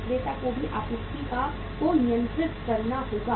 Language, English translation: Hindi, The seller also has to control the supply